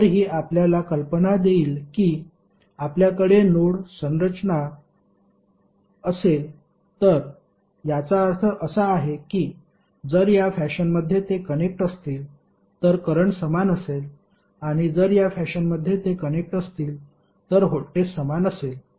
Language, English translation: Marathi, So this will give you an idea that if you have node configuration like this it means that the current will be same if they are connected in this fashion and voltage will be same if they are connected in this fashion